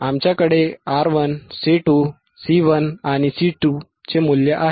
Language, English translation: Marathi, We have value of R 1, R 2, C 1 and C 2